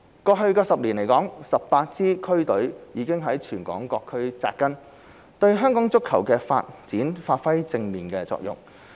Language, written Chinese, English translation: Cantonese, 過去10年來 ，18 支區隊已在全港各區扎根，對香港足球的發展發揮正面作用。, In the past decade all 18 district teams have taken root in local districts and made positive contribution to football development in Hong Kong